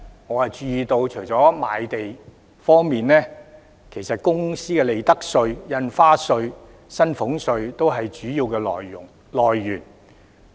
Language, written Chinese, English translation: Cantonese, 我注意到，除了賣地外，其實公司的利得稅、印花稅及薪俸稅，都是主要來源。, I note that in addition to land sales the main sources actually include corporate profits tax stamp duty and salaries tax